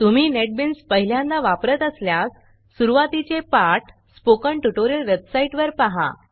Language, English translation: Marathi, If this is the first time you are using Netbeans, please view the earlier tutorials on the Spoken Tutorial website